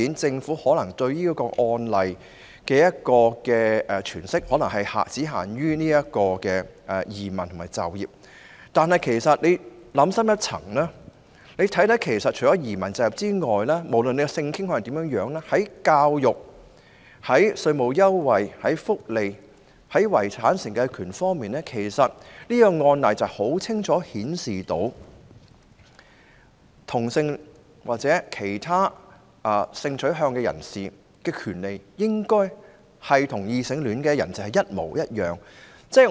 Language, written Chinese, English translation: Cantonese, 政府對此案例的詮釋可能只限於移民和就業方面，但大家其實想深一層，便會發現除移民和就業外，無論性傾向如何，在教育、稅務優惠、福利和遺產承繼權方面，這案例已清楚顯示同性戀或其他性傾向人士的權利應與異性戀人士一樣。, The Governments interpretation of this case is restricted to the aspects of immigration and employment . But if we do more thinking we will actually see that immigration and employment aside this case shows clearly that regardless of sexual orientations all people including homosexuals or people with any other sexual orientations should enjoy the same rights as heterosexual people in respect of education tax concessions welfare benefits and estates inheritance